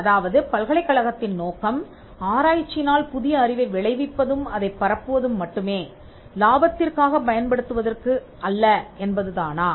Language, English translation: Tamil, If the objective of the university is only to create new knowledge through research and to disseminated, not for profit